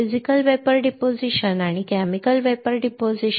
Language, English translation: Marathi, Physical Vapor Deposition and Chemical Vapor Deposition